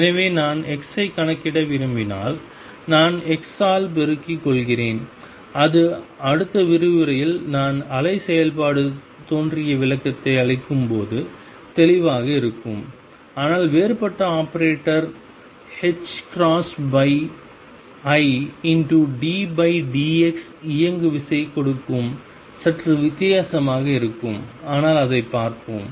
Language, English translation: Tamil, So, there it seems to be that if I want to calculate x, I just multiply by x that will be clear in the next lecture when I give the born interpretation for the wave function, but differential operator h cross over i d by d x giving momentum that looks a little odd, but let us see does it make sense